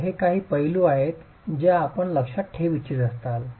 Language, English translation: Marathi, So, these are some aspects that you might want to keep in mind